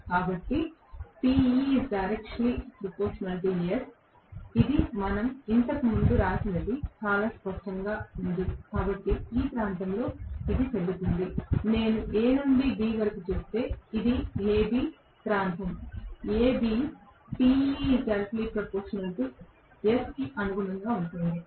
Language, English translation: Telugu, So, this is very clearly whatever we wrote earlier that is Te is proportional to slip, so that is valid in this region, if I say from A to B this is A B, region A B corresponds to torque is proportional to slip